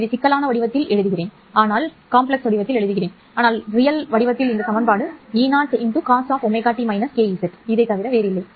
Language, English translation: Tamil, Remember I am writing this in the complex form, but in the real form this equation is nothing but e0 cos omega t minus k z